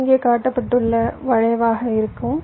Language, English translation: Tamil, this will be your skew shown here